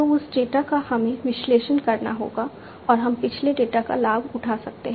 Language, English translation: Hindi, So, that data we will have to be analyzed and one can take advantage of the past data